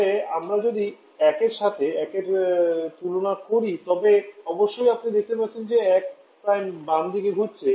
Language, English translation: Bengali, But if we compare 1 Prime with 1 differently you can see one Prime is getting shifted towards left